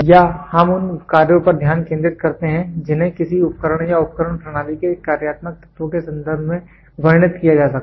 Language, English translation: Hindi, Here we focus on operations which can be described in terms of functional elements of an instrument or the instrument system